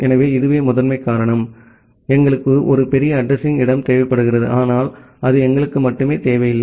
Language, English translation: Tamil, So, this is the primary reason, that we require a larger address space but that is not the only requirement for us